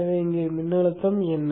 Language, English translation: Tamil, So what is the voltage here